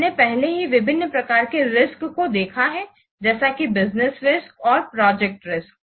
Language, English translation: Hindi, We have already seen the different types of risks such as what business risks and the project risk